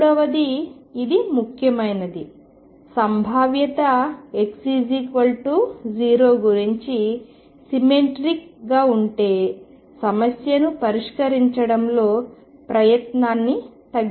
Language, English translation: Telugu, And third this is important if the potential is symmetric about x equals 0, one can reduce effort in solving the problem